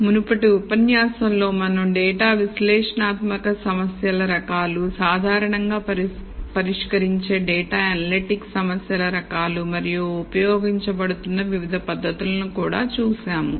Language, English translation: Telugu, In the previous lecture, we looked at data analytic problem types, the types of data analytics problems that one typically solves and we also looked at the various techniques that have a being used